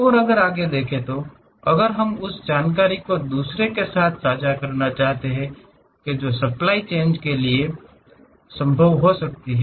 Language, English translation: Hindi, And, further if we want to share that information with others that can be also possible for the supply chain